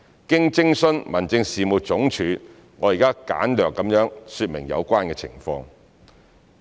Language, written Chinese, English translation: Cantonese, 經徵詢民政事務總署，我現簡略說明有關情況。, After consulting the Home Affairs Department I will now explain the situation briefly